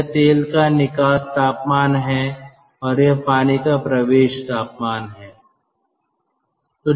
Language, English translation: Hindi, this is the outlet temperature of oil, this is the inlet temperature of water